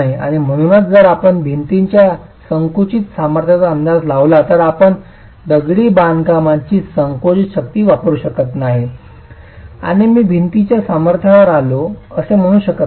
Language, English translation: Marathi, And therefore if you were to estimate the compressive strength of a masonry wall, you cannot use the compressive strength of the masonry and say, I have arrived at the strength of the wall